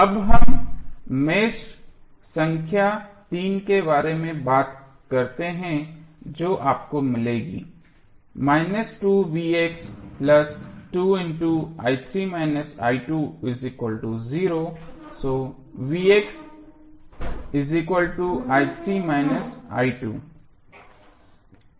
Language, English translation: Hindi, Now, let us talk about the mesh number three what you will get